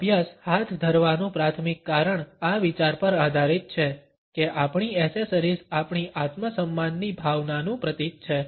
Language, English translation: Gujarati, The primary reason for taking up these studies is based on this idea that our accessories symbolize our sense of self respect